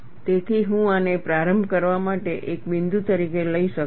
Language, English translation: Gujarati, So, I could take this as a point, to start with